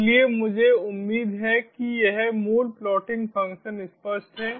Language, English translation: Hindi, so i hope this basic plotting function is clear